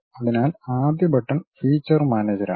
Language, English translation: Malayalam, So, the first button is feature manager